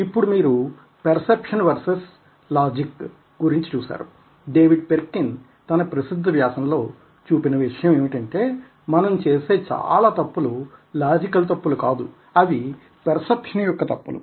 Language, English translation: Telugu, so you see that, ah, perception versus logic, ok, and ah, what you i would like to quickly share with you is that, ah, david perkins article very popularly points out that most of the mistakes are that we make are not logical mistakes, but mistakes are perception